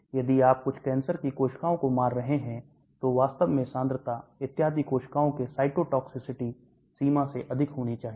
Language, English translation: Hindi, If you are killing some cancer cells the concentration should be higher than the cytotoxicity limits of the cells and so on actually